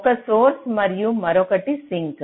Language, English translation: Telugu, so one is this source and other is the sink